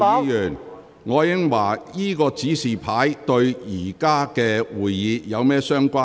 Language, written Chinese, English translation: Cantonese, 楊岳橋議員，這個紙牌與目前的會議有甚麼關係？, Mr Alvin YEUNG how is this placard relevant to this meeting?